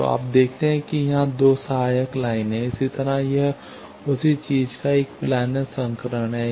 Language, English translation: Hindi, So, you see there are 2 auxiliary lines here; similarly this is a planar version of the same thing